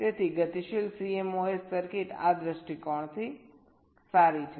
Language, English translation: Gujarati, so dynamic cmos circuits are good from this point of view